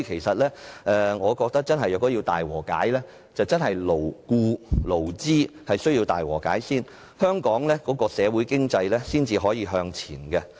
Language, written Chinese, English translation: Cantonese, 說到大和解，我認為勞僱或勞資雙方須先行大和解，香港的社會和經濟才得以向前行。, Speaking of great reconciliation I think there must first be great reconciliation between employees and employers or workers and capitalists before Hong Kong society and economy can move forward